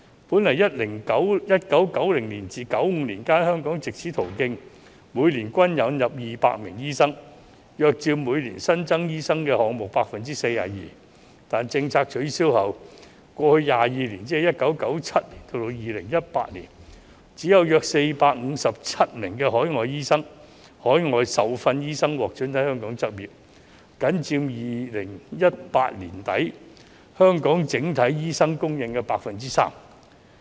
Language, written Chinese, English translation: Cantonese, 本來在1990年至1995年間，香港藉此途徑年均引入200名醫生，約佔每年新增醫生數目 42%， 但政策取消後，過去22年只有約457名海外受訓醫生獲准在香港執業，僅佔2018年年底香港整體醫生供應的 3%。, An average of 200 doctors have been imported to Hong Kong annually through this channel from 1990 to 1995 accounting for about 42 % of the new supply of doctors every year . However after the abolition of the policy only 457 overseas - trained doctors have been permitted to practise in Hong Kong in the past 22 years accounting for merely 3 % of the total number of doctors in Hong Kong as at the end of 2018 . The number of overseas doctors has dropped sharply from 200 annually to some 200 in 10 years